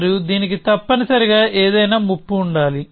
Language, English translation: Telugu, And it must have any threat essentially